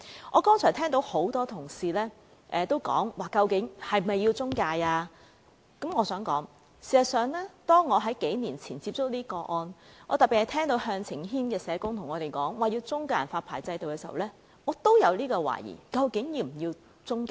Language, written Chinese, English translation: Cantonese, 我剛才聽到多位同事質疑是否有需要設有中介公司，我想指出，當我在數年前接觸這些個案時，特別是當我聽到向晴軒的社工向我們表達要設立中介人發牌制度時，我也懷疑究竟是否要有中介。, I have heard many colleagues query the need for the existence of intermediaries . I would like to point out that when I came across those cases a few years ago particularly when I heard social workers from the Caritas Family Crisis Support Centre urge for the establishment of a licensing system for intermediaries I also doubted the need for the existence of intermediaries